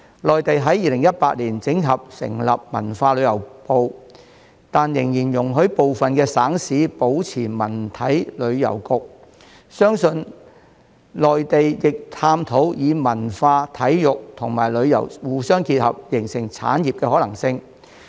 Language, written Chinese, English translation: Cantonese, 內地於2018年整合成立文化和旅遊部，但仍然容許部分省市保留文體旅遊局，相信內地亦正在探討將文化、體育及旅遊互相結合，形成產業的可能性。, The Ministry of Culture and Tourism was established in the Mainland by way of consolidation in 2018 but some provincial and municipal authorities are still allowed to keep their Bureau of Culture Sports and Tourism . I believe the Mainland authorities are also exploring the possibility of combining culture sports and tourism to form an industry